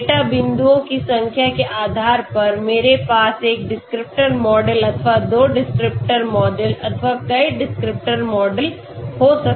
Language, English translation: Hindi, So depending upon the number of data points I can have one descriptor model or two descriptor model or many descriptor models okay